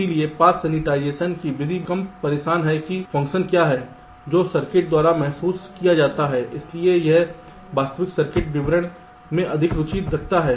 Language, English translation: Hindi, so the method of path sensitization is least bothered about what is the function that is realized by the circuit, but it is more interested in the actual circuit description